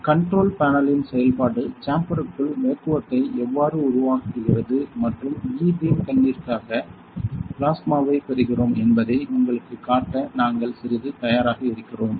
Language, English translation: Tamil, So, we are ready a bit to show you exactly the functioning of the control panel, how vacuum is getting created inside the chamber and for the E beam gun are we getting the plasma all those things